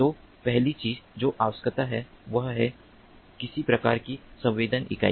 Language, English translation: Hindi, so the first thing that is required is to have some kind of sensing unit